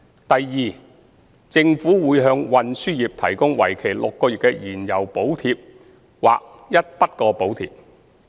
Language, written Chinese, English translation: Cantonese, 第二，政府將會向運輸業提供為期6個月的燃料補貼或一筆過補貼。, Secondly the Government will introduce a six - month fuel subsidy or a one - off subsidy to assist the transport trades